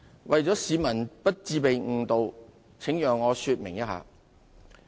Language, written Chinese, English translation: Cantonese, 為了市民不致被誤導，請讓我稍作說明。, In order to prevent the public from being misled please allow me to explain briefly